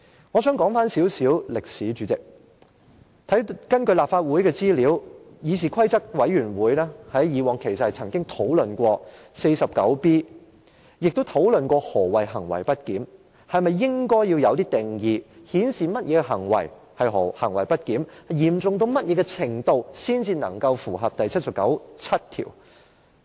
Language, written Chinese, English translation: Cantonese, 我想說一點歷史，主席，根據立法會的資料，議事規則委員會過往曾討論第 49B 條，也曾討論何謂行為不檢，是否應作出定義，界定甚麼行為是行為不檢，以及行為的嚴重程度怎樣才算是符合第七十九條第七項等問題。, Let me recap some history . President according to the information of the Legislative Council the Committee on Rules of Procedure did discuss Rule 49B in the past . It also discussed the definition of misbehaviour whether or not a definition should be laid down to define what conduct is misbehaviour and the severity of misbehaviour that constitutes a breach of Article 797